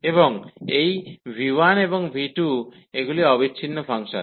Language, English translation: Bengali, And this v 1 and v 2, they are the continuous functions